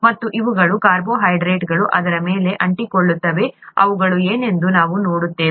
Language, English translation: Kannada, And these are carbohydrates that stick onto it, we will see what they are